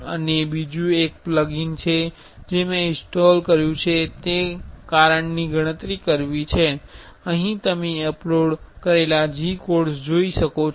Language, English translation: Gujarati, And another on another plugin I have installed is to calculate the cause is if, I here you can see the uploaded G codes